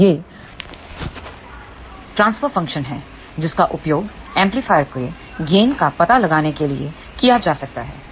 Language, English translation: Hindi, So, this is the transfer function which can be used to find out the gain of the amplifier